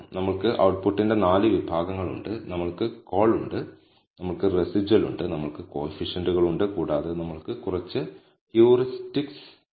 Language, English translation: Malayalam, So, we have 4 sections of output we have call, we have residual, we have coefficients, and we have some few heuristics at the bottom